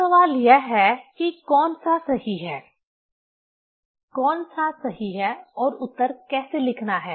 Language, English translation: Hindi, Now, question is which one is correct; which one is correct and how to write the answer